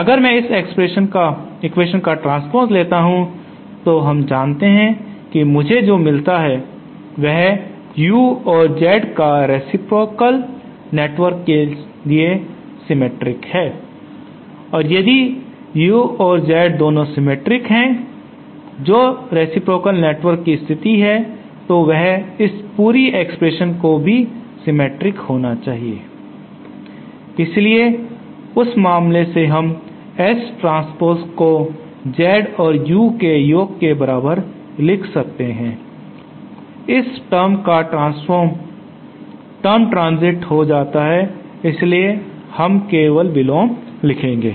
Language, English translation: Hindi, If I take the transpose of this equation then what I get isÉ Now we know that U and Z are symmetric for a reciprocal network if both U and Z are symmetric that is the case for reciprocal network then this whole expression must also be symmetric, so then in that case we can simply write S transpose as equal to Z plus You, the transpose term this term gets transit so only we will have the inverse